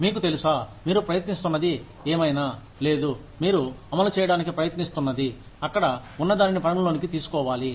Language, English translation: Telugu, You know, whatever you are trying to, or whatever you are trying to implement, should be taking into account, whatever is there